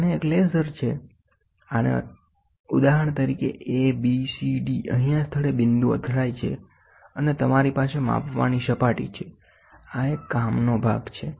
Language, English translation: Gujarati, And this is for example, A B C D the spot hits at here and you have a surface to measure, this is a work piece